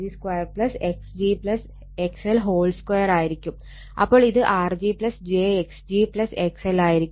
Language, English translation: Malayalam, So, it will be R g plus j x g plus X L right